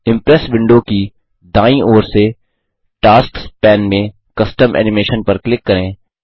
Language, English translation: Hindi, From the right side of the Impress window, in the Tasks pane, click on Custom Animation